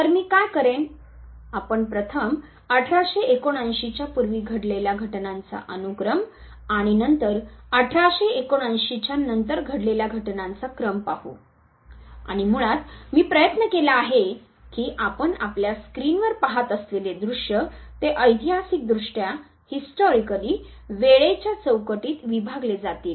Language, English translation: Marathi, So, what I will do is, now we will first see the sequence of events that took place before 1879 and then the sequence of events that took place after 1879 and we would, basically I have tried that the visuals that you see on your screen they would be historically divided in the time frame